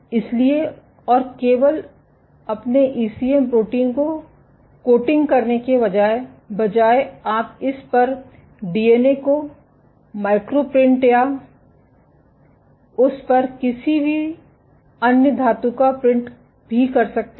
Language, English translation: Hindi, So, and instead of coating just your ECM proteins you can also micro print DNA on it or any other metal on it